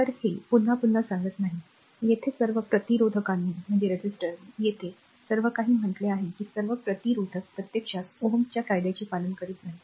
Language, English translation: Marathi, So, not telling it again right, now, it is what mentioning here that the all the resistors all the all that here that not all the resistors actually obey Ohm’s law, right